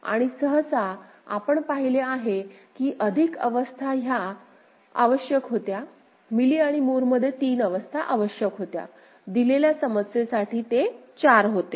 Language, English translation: Marathi, And usually we have seen that more states were required, 3 states were required in Mealy and Moore it was 4 for the given problem